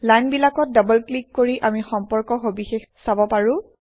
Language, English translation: Assamese, We can double click on the lines to see the relationship details